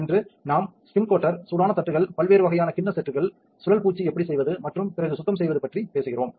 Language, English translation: Tamil, Today we will be talking about the spin coater itself the hot plates different types of bowl sets, how to do the spin coating and the cleaning afterwards